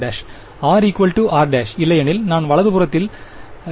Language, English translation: Tamil, R=r prime otherwise I am integrating 0 on the right hand side